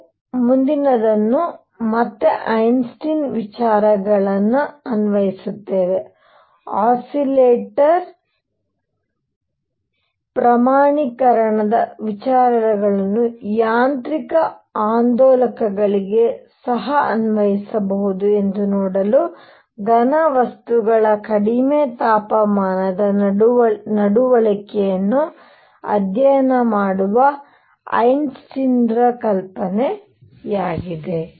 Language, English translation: Kannada, What we will do next is again apply Einstein ideas; Einstein’s idea to study the low temperature behavior of solids to see that the ideas of quantization of an oscillator can also be applied to mechanical oscillators